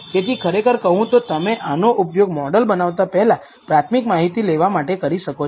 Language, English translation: Gujarati, So, really speaking you can actually use this to get a preliminary idea before you even build the model